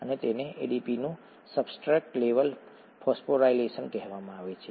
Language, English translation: Gujarati, And that is called substrate level phosphorylation of ADP